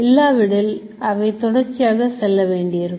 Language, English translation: Tamil, Otherwise it has to go continuously like this